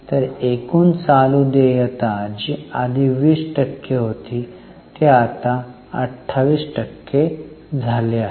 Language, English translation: Marathi, So, overall total current liabilities which were earlier 20% have now become 28%